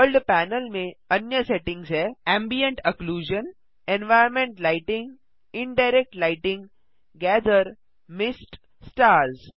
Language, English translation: Hindi, Other settings in the World panel are Ambient Occlusion, environment lighting, Indirect lighting, Gather, Mist, Stars